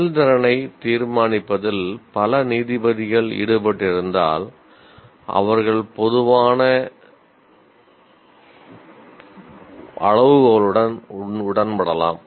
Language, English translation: Tamil, If multiple judges are involved in judging the performance, they may commonly agree with a common set of criteria